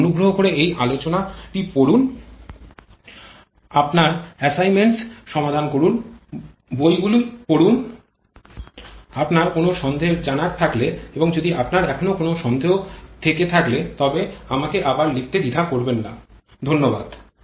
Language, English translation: Bengali, You please go through this lecture, solve your assignments, go through books, also to clarify any doubt you have and if you still have doubts, do not hesitate to write back to me, Thank you